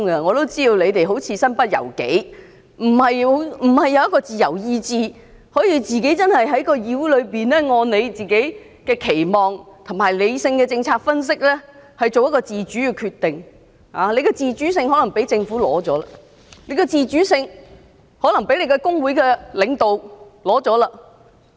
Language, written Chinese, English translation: Cantonese, 我都知道你們似乎是身不由己的，沒有自由意志能夠在議會內，按照自己的期望和理性的政策分析作出自主決定，你們的自主可能是被政府取走了，又或是被工會的領導取走了。, I know that you probably have your hands tied and have no free will to make independent decision based on your own aspirations and rational policy analysis . Your autonomy may have been taken away by the Government or by leaders of your trade unions